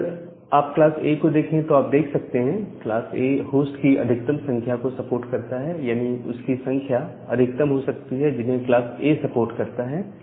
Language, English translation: Hindi, Now, in this case, you can see that class A, it supports maximum number of hosts, so class A supports maximum number of host